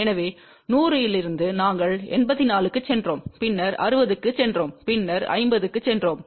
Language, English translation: Tamil, So, from 100 we went to 84, then we went to 60 and then we went to 50